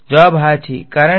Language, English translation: Gujarati, Answer is yes because